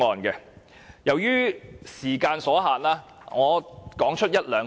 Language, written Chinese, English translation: Cantonese, 由於時間所限，我只會提出一兩點。, Due to time constraint I will only highlight one or two points